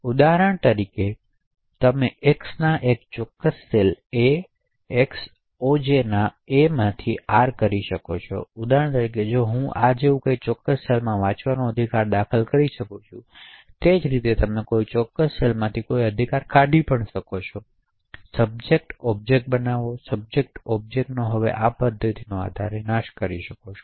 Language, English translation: Gujarati, For example you can enter a right R into a particular cell A of X SI, A of X OJ, for example I can enter a right to read in a particular cell such as this, similarly you can delete a right from a particular cell, create subject, create object, destroy subject and destroy object, now based on this mechanism